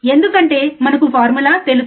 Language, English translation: Telugu, Because that we know the formula